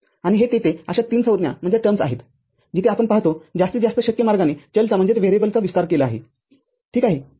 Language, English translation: Marathi, And this there are three such terms where all the variables expanded to the in the maximum possible way that is what we see, ok